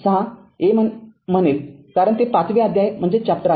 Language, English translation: Marathi, a because that it is chapter five